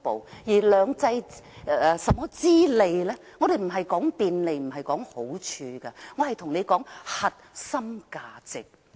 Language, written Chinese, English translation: Cantonese, 至於"兩制"之便，我們並非着眼於便利或好處，而是核心價值。, As regards the convenience of two systems we focus on the core values not the convenience or benefits